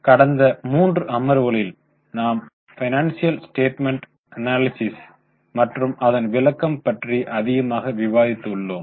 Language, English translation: Tamil, Namaste In last three sessions we have discussed a lot about financial statement analysis and its interpretations